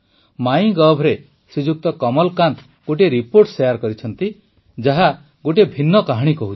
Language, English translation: Odia, On MyGov app, Kamalakant ji has shared a media report which states something different